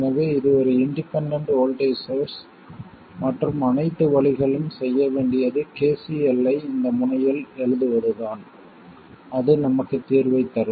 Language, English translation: Tamil, So now really this is an extremely simple circuit, so this is an independent voltage source and all we have to do is to write KCL at this node, okay, that will give us the solution